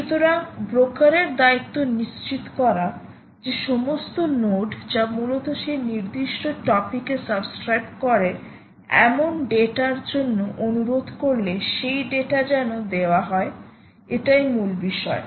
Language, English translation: Bengali, it is the responsibility of the broker to ensure that all nodes that basically request for data to, to which subscribe to that particular topic, are actually, you know, served that data